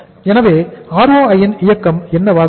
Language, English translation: Tamil, So what will be the movement of the ROI